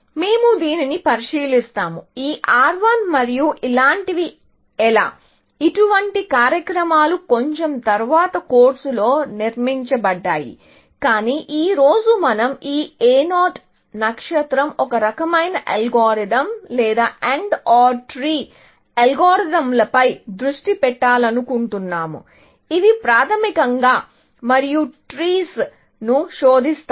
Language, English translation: Telugu, We will look at this; how this R 1 and things like this; such programs have built, a little bit later in the course, but today, we want to focus on this A 0 star, kind of an algorithm, or AND OR tree algorithms, and which basically, search over AND OR trees